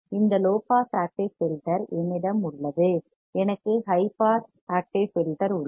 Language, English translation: Tamil, I have this low pass active filter; I have high pass active filter